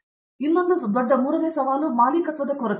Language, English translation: Kannada, Third biggest challenge everyone faces is lack of ownership